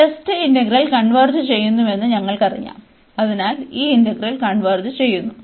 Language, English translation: Malayalam, And we know already that the test integral converges, so this converges so this integral converges